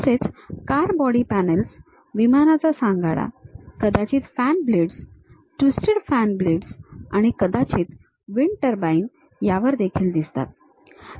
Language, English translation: Marathi, Car body panels, aircraft fuselages, maybe the fan blades, the twisted fan blades and perhaps wind turbine blades